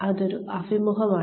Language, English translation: Malayalam, It is an interview